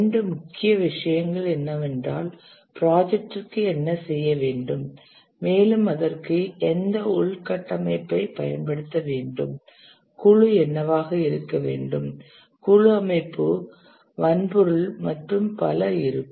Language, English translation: Tamil, These are two main things that what the project needs to do and also what infrastructure it needs to use, what will be the team, team organization, hardware, and so on